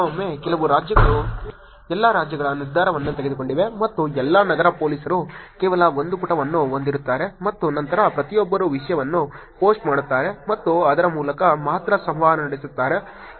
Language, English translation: Kannada, Sometimes, some states have taken the decision of all the states and all the city police will have just one page, and then everybody will be posting content and interacting only through that